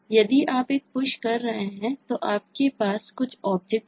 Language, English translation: Hindi, if you are doing a push, then you have some object that you want to push